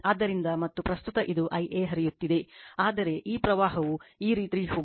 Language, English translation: Kannada, So and current this is I a flowing this, but this current is going this way